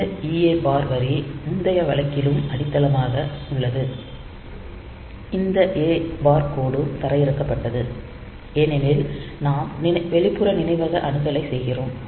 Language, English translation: Tamil, So, this EA bar line is grounded in the previous case also this A bar line was grounded because we were doing memory external memory access